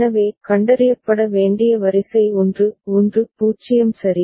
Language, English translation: Tamil, So, the sequence to be detected is very simple 1 1 0 ok